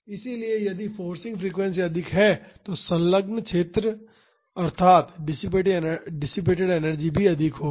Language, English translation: Hindi, So, if the forcing frequency is high the area enclosed, that is the energy dissipated will also be high